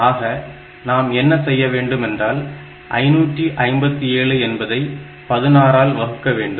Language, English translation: Tamil, So, what we have to do is, the same thing 557 divided by 16